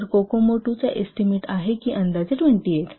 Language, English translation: Marathi, So Kokomo 2 estimates roughly 28